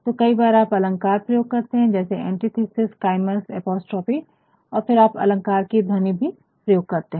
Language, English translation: Hindi, So, sometimes you may use figures of speech like antithesis chiasmus and apostrophe and then you may also use figures of sound